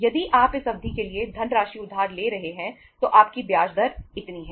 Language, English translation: Hindi, If you are borrowing the funds for this much period of time your interest rate is this much